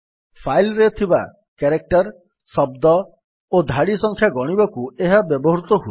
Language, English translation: Odia, This command is used to count the number of characters, words and lines in a file